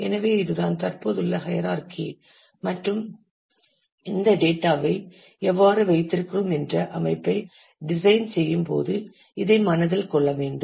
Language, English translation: Tamil, So, this is the hierarchy that exists and this will have to be kept in mind, when we design the organization of how we keep this data